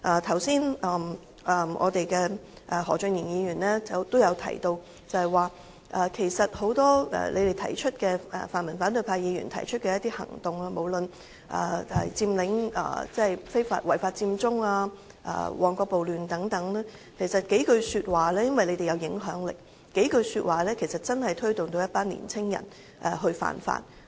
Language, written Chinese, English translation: Cantonese, 剛才何俊賢議員也提到，很多泛民反對派議員提出的一些行動，無論是違法佔中、旺角暴亂等，均由於他們富有影響力，只消三數句說話便推動了一群年青人以身試法。, As mentioned by Mr Steven HO just now the reason why some pan - democratic Members of the opposition camp have proposed some actions such as the unlawful Occupy Central the Mong Kok riot and so forth is that they have strong influence . Only three remarks or so have driven a group of young people to break the law . Driven by a sentence that read achieving justice by violating the law many young people took illegal actions